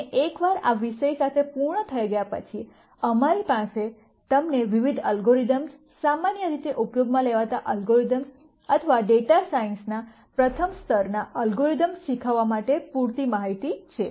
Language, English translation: Gujarati, And once we are done with this topic, then we have enough information for us to teach you the various algorithms, commonly used algorithms or the first level algorithms in data science